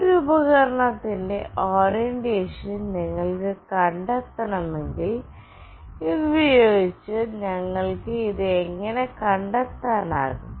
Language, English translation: Malayalam, And if you want to find out the orientation of a device how we can find it out using this